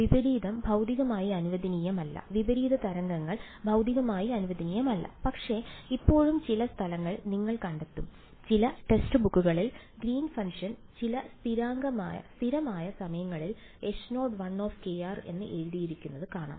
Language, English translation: Malayalam, Invert is physically not allowed; invert waves are not physically allowed, but still you will find some places where, in some text books you will find the Green’s function written as some constant times H naught 1 kr